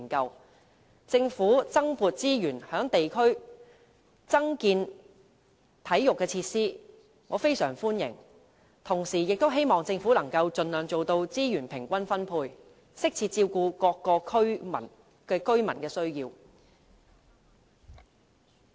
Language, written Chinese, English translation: Cantonese, 對於政府增撥資源在地區增建體育設施，我非常歡迎，同時亦希望政府可以盡量做到資源平均分配，適切照顧各區居民的需要。, I surely welcome the Governments proposal for allocating additional resources to the construction of district sports facilities yet I hope the Government will at the same time ensure an even distribution of resources by all means so as to cater for the needs of residents in various districts properly